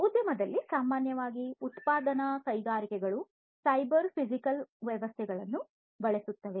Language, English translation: Kannada, In the industry, in general, manufacturing industries will use cyber physical systems